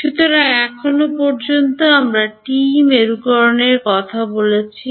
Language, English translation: Bengali, So, far we spoke about TE polarization